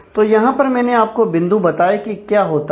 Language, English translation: Hindi, So, you can here, I have given the points of what happens